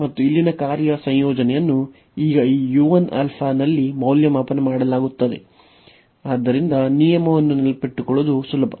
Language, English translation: Kannada, And the function here, the integrand will be now evaluated at this u 1 alpha, so that is the rule that is easy to remember